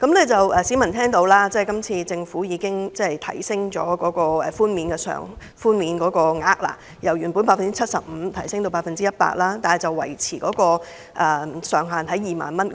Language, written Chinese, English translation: Cantonese, 政府今次建議提高稅務寬免百分比，由原本的 75% 提高至 100%， 但每宗個案的寬免上限維持在2萬元。, The current government proposal seeks to increase the tax reduction from 75 % to 100 % while retaining the ceiling of 20,000 per case